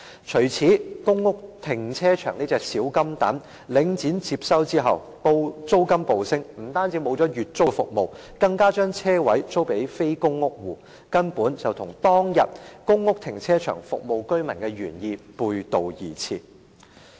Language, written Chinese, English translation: Cantonese, 除此之外，公屋停車場這隻小金蛋在領展接收後租金暴升，不但取消了月租服務，更將車位租予非公屋戶，根本與當天公屋停車場服務居民的原意背道而馳。, Apart from this since Link REIT took over the cash cow namely the car parks in public housing estates the rents have skyrocketed . Not only has it abolished the monthly rental service it has even rented out the parking spaces to people who are not public housing residents . It actually runs counter to the original intent that the car park service in public housing should serve the residents